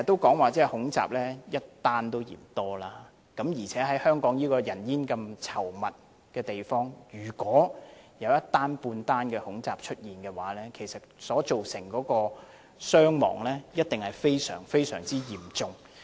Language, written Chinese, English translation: Cantonese, 經常說恐怖襲擊的個案一宗也嫌多，而且在香港這個人煙稠密的地方，如果出現一宗恐怖襲擊，其實所造成的傷亡一定會非常、非常嚴重。, We always say that even one case of terrorist attack is just too many . In the densely populated place like Hong Kong if there is a case of terrorist attack the casualties are bound to be very serious